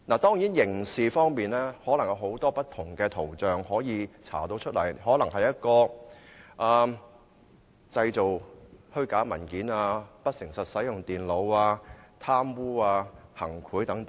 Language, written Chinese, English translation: Cantonese, 當然，可能會循不同方向進行刑事調查，涉及的罪行可以是製造虛假文件、不誠實使用電腦、貪污或行賄等。, Certainly criminal investigation may be conducted in different directions . The crimes involved may include making a false document access to a computer with dishonest intent corruption or bribery etc